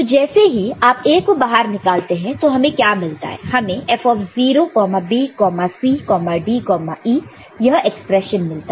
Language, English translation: Hindi, So, once you take A out then what do you see F(0,B,C,D,E) this expression how you will you get